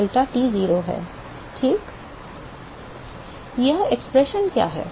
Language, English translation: Hindi, What is this expression